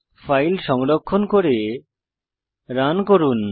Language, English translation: Bengali, So save and run the file